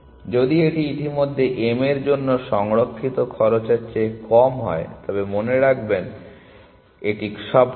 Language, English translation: Bengali, If this is less than the cost that was already stored for m, remember it is all open